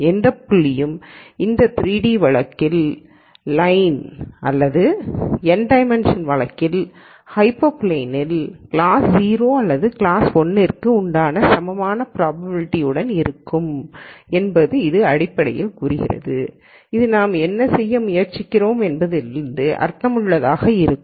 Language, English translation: Tamil, That basically says that any point on this line in this 2 d case or hyperplane, in the n dimensional case will have an equal probability of belonging to either class 0 or class 1 which makes sense from what we are trying to do